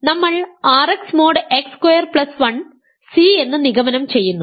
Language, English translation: Malayalam, So, we conclude R x mode x square plus 1 C